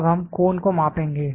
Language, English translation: Hindi, Now, we will measure the cone